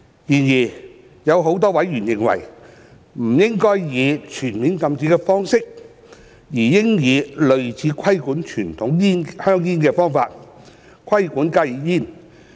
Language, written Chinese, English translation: Cantonese, 然而，有多名委員認為，不應以全面禁止的方式，而應以類似規管傳統香煙的方法，規管加熱煙。, However many other members are of the view that HTPs should not be fully banned but should be subject to a regulatory regime similar to that of conventional cigarettes